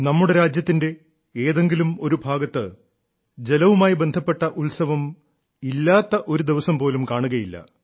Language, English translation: Malayalam, There must not be a single day in India, when there is no festival connected with water in some corner of the country or the other